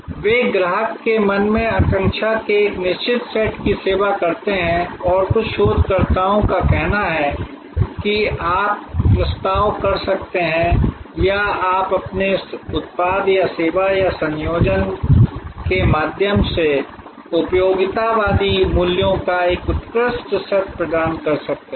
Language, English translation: Hindi, They serve a certain set of aspiration in the customer's mind and some researchers say that you may propose or you may deliver an excellent set of utilitarian values through your product or service or combination